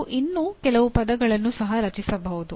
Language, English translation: Kannada, You can also coin some more words